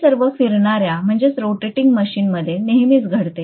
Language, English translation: Marathi, This happens all the time in rotating machines